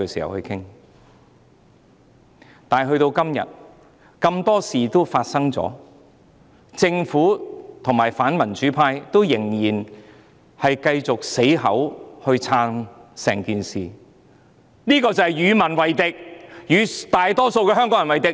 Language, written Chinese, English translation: Cantonese, 然而，至今已發生了很多事情，政府及反民主派仍然繼續堅持"撐"整件事，這便是與民為敵，與大多數香港人為敵。, Although a lot of things have happened so far the Government and the anti - democracy camp still render their unwavering support . This is tantamount to antagonizing the people and being hostile to the majority of Hong Kong people